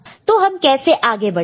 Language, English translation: Hindi, So, how do we go about it